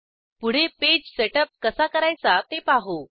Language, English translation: Marathi, Next lets see how to setup a page